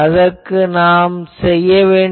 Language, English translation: Tamil, So, for that what I can do